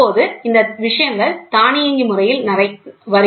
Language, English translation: Tamil, Now these things are getting automated